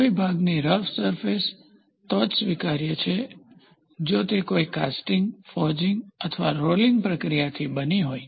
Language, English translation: Gujarati, If rough surface for a part is acceptable one may choose a casting, forging or rolling process